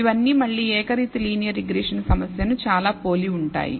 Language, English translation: Telugu, So, these are all very very similar again to the univariate linear regression problem